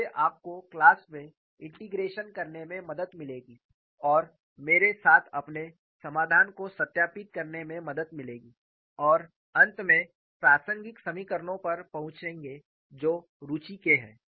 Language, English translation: Hindi, So, take your time to look at the table of integrals so that would help you to do the integration in the class and verify your solution with mine and finally arrive at the relevant equations that are of interest